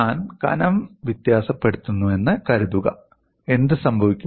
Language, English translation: Malayalam, Suppose I vary the thickness, what would happen